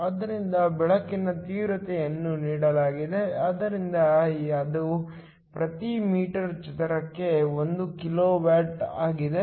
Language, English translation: Kannada, So, the intensity of the light is given so that is 1 kilo watt per meter square